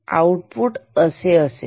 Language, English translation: Marathi, The output will be like this